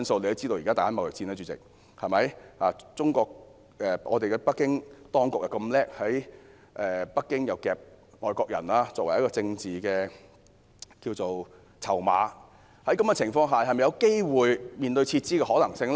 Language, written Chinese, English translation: Cantonese, 主席，現時正上演中美貿易戰，北京當局非常聰明，以外國人作為政治籌碼，在這樣的情況下，是否有機會面對撤資的可能性呢？, Chairman during the current China - United States trade war the Beijing authorities are clever enough to use foreigners as their political chips . Under the circumstances will withdrawal of foreign capital be a possibility?